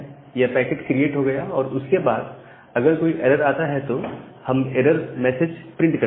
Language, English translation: Hindi, Then once the socket is created, if there is an error, we print some error message